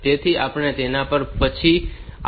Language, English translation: Gujarati, So, we will come to that later